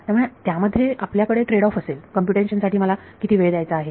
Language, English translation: Marathi, So, then you have tradeoff how much time do I want to devote to computation